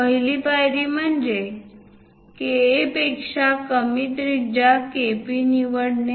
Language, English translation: Marathi, The first step is choose a radius KP less than KA